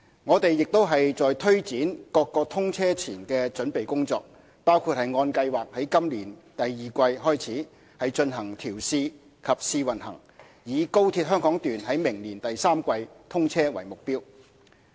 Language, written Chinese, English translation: Cantonese, 我們亦在推展各項通車前的準備工作，包括按計劃於今年第二季開始進行調試及試運行，以高鐵香港段於明年第三季通車為目標。, We are also taking forward various pre - commissioning preparation works including the commencement of testing and commissioning as well as trial operation from the second quarter of this year as scheduled with a view to commissioning the Hong Kong section of XRL by the third quarter next year